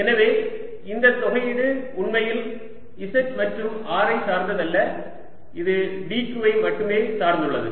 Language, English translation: Tamil, so this integration does not do really depend on z and r, it depends only on d q